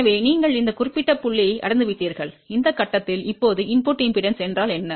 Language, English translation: Tamil, So, you have reached at this particular point and at this point, what is input impedance